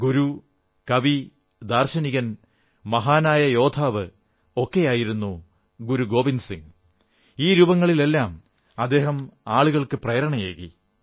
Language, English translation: Malayalam, A guru, a poet, a philosopher, a great warrior, Guru Gobind Singh ji, in all these roles, performed the great task of inspiring people